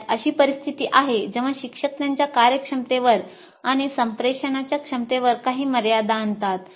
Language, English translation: Marathi, Teachers come with some limitations on their competencies and communication abilities